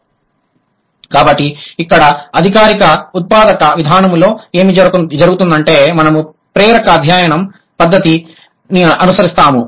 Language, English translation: Telugu, So, here what happens in the formal generative approach, we follow the inductive method of study